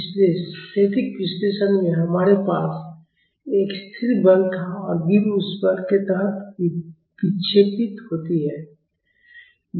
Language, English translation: Hindi, So, in the static analysis, we had a constant force and the beam deflects under that force